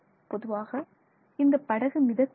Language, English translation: Tamil, This boat is basically floating